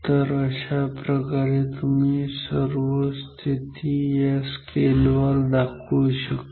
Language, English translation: Marathi, So, that is how you can find mark all other positions on the scale